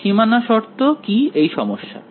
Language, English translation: Bengali, What is a boundary condition for this problem